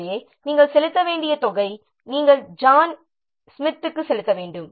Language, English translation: Tamil, So that means this much what amount you have to pay to John Smith